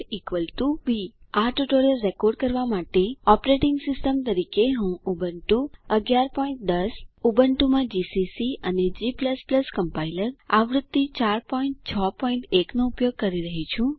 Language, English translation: Gujarati, a#160.= b To record this tutorial, I am using: Ubuntu 11.10 as the operating system gcc and g++ Compiler version 4.6.1 in Ubuntu